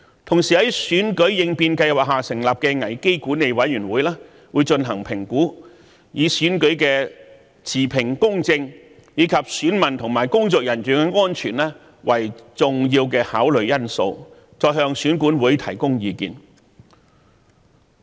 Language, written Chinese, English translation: Cantonese, 同時，在選舉應變計劃下成立的危機管理委員會會進行評估，以選舉的持平公正及選民和工作人員的安全為重要考慮因素，再向選管會提供意見。, In the meantime the Crisis Management Committee set up under the contingency plan formulated for the election will conduct an evaluation in this respect and advise EAC accordingly with the integrity and fairness of the election as well as the safety of electors and electoral staff as the paramount considerations